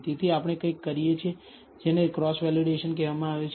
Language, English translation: Gujarati, So, we do something called cross validation